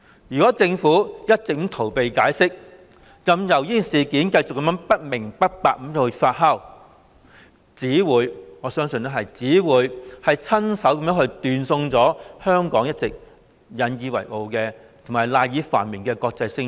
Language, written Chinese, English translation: Cantonese, 如果政府一直逃避解釋，任由事件繼續不明不白地發酵，我相信只會親手斷送香港一直引以為傲、賴以繁榮的國際聲譽。, If the Government keeps refusing to explain and allow doubts about the incident to ferment I believe it will destroy with its own hands the international reputation that Hong Kong takes pride in and on which Hong Kongs prosperity relies